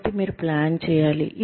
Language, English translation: Telugu, So, you need to plan